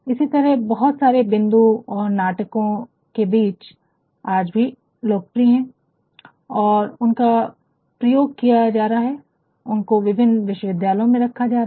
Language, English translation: Hindi, Likewise many other points and dramatic their words are also still popular and they are beingthey are being used, they are being used, they have been prescribed in various universities